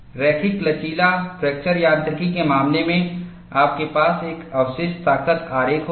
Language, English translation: Hindi, In the case of linear elastic fracture mechanics, you will have a residual strength diagram